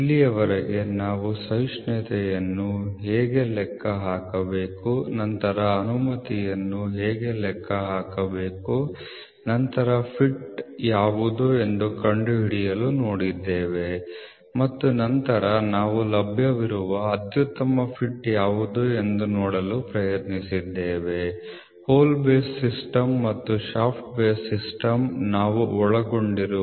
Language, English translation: Kannada, Till now we have seen how to calculate tolerance then how to calculate allowance then to find out what is the fit and then later we will also it what is the fit and we will also try to see what is the best fit available the hole base system and shaft base system these are the topics we have covered